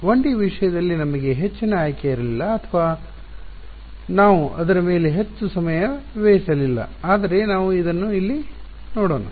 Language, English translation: Kannada, We did not have much of a choice in the case of 1D or we did not spend too much time on it but so, we will have a look at it over here